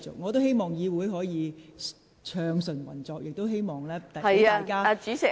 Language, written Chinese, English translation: Cantonese, 我希望議會可以暢順運作，亦希望能讓大家發言。, I hope that the legislature can operate smoothly and I also hope that I can allow Members to speak